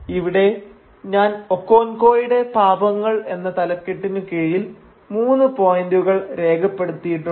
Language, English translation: Malayalam, And now here I have listed three points under the heading Okonkwo’s Transgressions